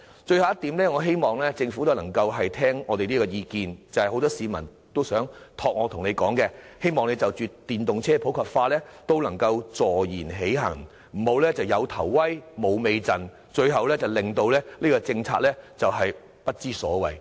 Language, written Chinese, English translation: Cantonese, 最後，我希望政府能聽取我們的意見，因很多市民要求我向政府反映，就着電動車普及化，政府必須坐言起行，不能"有頭威，無尾陣"，最終令有關政策變得不倫不類。, Finally I hope the Government will listen to our views because many people have asked me to reflect to the Government that with regard to the popularization of EVs it should put its words into actions . The Government should avoid committing the mistake of starting well but finishing poorly thus rendering the relevant policy a nondescript